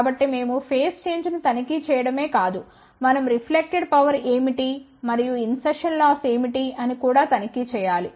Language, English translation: Telugu, So, we have to not only check the phase shift we should also check; what is the reflected power and what is the insertion loss